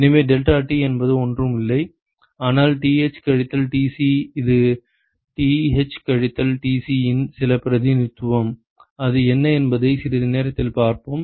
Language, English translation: Tamil, So, deltaT is nothing, but Th minus Tc, it is some representation of Th minus Tc we will see that in a short while what it is ok